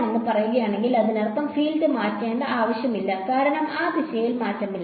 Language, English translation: Malayalam, That means, there is no need for the field to change, because there is no change along that direction